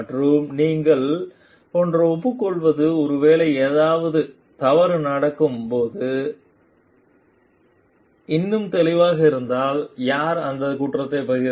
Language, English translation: Tamil, And acknowledging the like you are part of maybe if something this is more evident when something goes wrong then who shares the blame for it